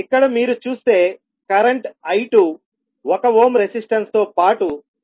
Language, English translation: Telugu, Here if you see the current I2 is flowing 1 ohm resistance as well as the inductor